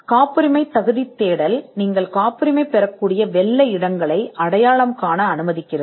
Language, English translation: Tamil, A patentability search allows you to identify the white spaces where you can patent